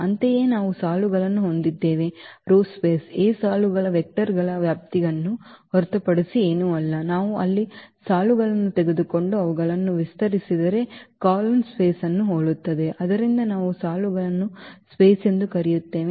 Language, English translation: Kannada, Similarly, we have the rows space row space is nothing but the span of the row vectors of A similar to the column space if we take the rows there and span them, so this space which we call the rows space